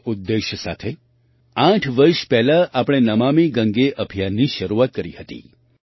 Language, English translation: Gujarati, With this objective, eight years ago, we started the 'Namami Gange Campaign'